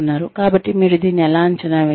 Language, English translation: Telugu, So, how will you assess this